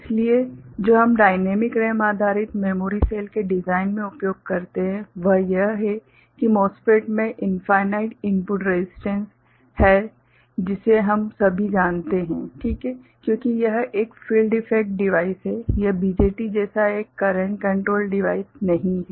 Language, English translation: Hindi, So, what we use in design of dynamic RAM based memory cell, is that the MOSFET by nature has infinite input impedance that we all know, ok, because it is a field effect device it is not a current controlled device like BJT, right